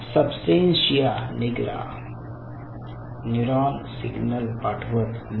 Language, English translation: Marathi, substantia nigra neuron is not sending a signal